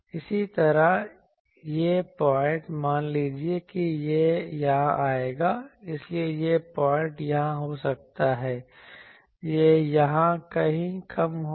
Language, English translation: Hindi, Similarly, this point, suppose it will come here, so this point may be here, this point let us say here, so it will be somewhere here much lower